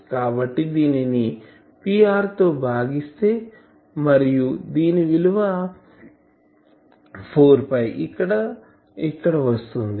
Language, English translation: Telugu, So, this is divided by P r and this 4 phi goes here